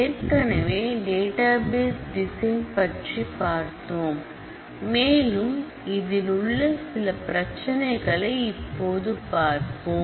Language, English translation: Tamil, So, we have already discussed about the database design, I would like to raise a few further issues about that